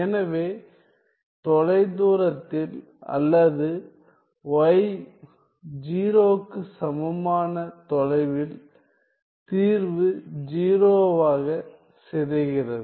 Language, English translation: Tamil, So, in the far field or faraway from y equal to 0 the solution decays to 0